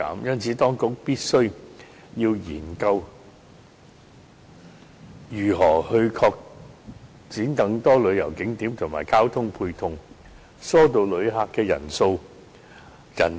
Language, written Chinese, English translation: Cantonese, 因此，當局必須研究如何開拓更多旅遊景點及交通配套設施，以疏導旅客人流。, Therefore the Government must consider how best to develop more tourist attractions and transport facilities to cope with the increasing number of visitors